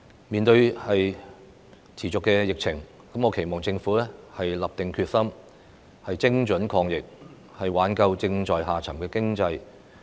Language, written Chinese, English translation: Cantonese, 面對持續的疫情，我期望政府立定決心，精準抗疫，挽救正在下滑的經濟。, In face of the persistent pandemic I hope the Government will be determined to combat the virus precisely and save the plunging economy